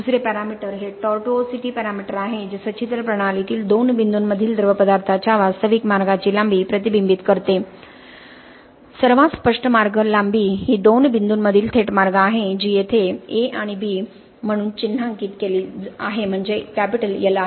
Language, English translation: Marathi, The other parameter is the tortuosity parameter which reflects the actual path length of the fluid between two points inside the porous system, okay the most obvious path length is the direct path between two points which is marked here as A and B so that is L